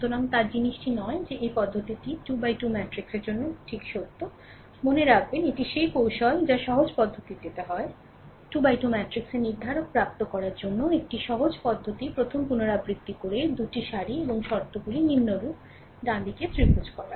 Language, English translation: Bengali, So, another thing is that this method just true for 3 into 3 matrix, remember this is this is what technique is there that is simple method, a simple method for obtaining the determinant of a 3 into 3 matrix is by repeating the first 2 rows and multiplying the terms diagonally as follows, right